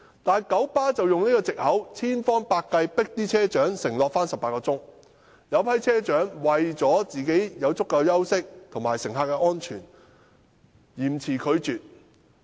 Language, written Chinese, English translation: Cantonese, 但九巴卻以此為藉口，千方百計迫令車長承諾每周上班18小時，其中一些車長為了讓自己有足夠的休息，以及顧及乘客的安全，便嚴詞拒絕。, However using this as a pretext KMB tried every means to force the bus captains to undertake to work 18 hours per week . To get themselves sufficient rest and taking the passengers safety into account some bus captains sternly refused